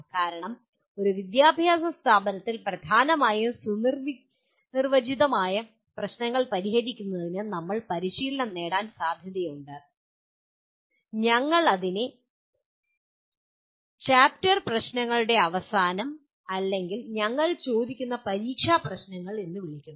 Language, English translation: Malayalam, Because in an educational institution we are likely to get trained in solving dominantly well defined problems what we call end of the chapter problems or the kind of examination problems that we ask